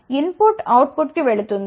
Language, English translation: Telugu, So, input will go to the output side